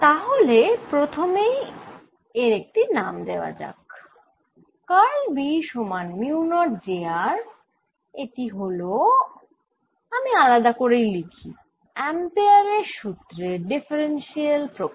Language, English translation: Bengali, so let's just first give there is a name: curl of b equals mu, not j r is the differential form of i am going to write it separately ampere law